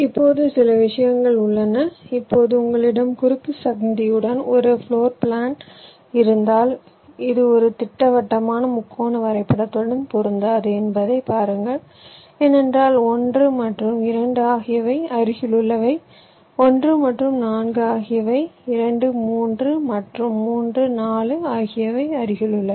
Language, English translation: Tamil, if you have a floor plan with a cross junction see, this will not correspond to a planer triangular graph because one and two, an adjacent one and four are adjacent, two, three and three, four